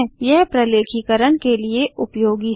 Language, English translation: Hindi, It is useful for documentation